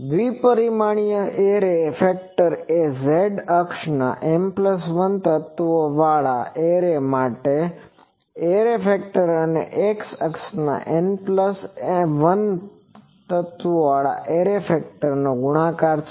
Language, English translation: Gujarati, The two dimensional array factor will be the product of the array factor for M plus 1 linear array along the z axis with the array factor for the N plus 1 elements array along the x